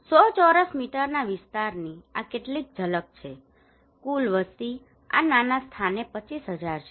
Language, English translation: Gujarati, These are some of the glimpse of 100 square meter area total population is within this small place 25,000